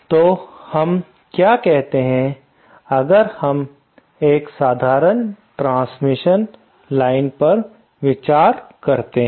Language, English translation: Hindi, So, what is say the, let us, if we consider a simple transmission line